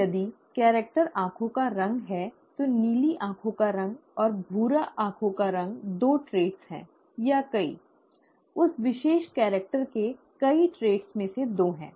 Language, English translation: Hindi, So, if the character happens to be eye colour, blue eye colour and brown eye colour are the two traits, or many, two of the many traits of that particular character